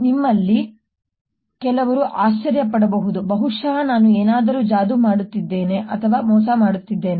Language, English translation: Kannada, some may, some of you may wonder maybe i am doing some magic or some cheating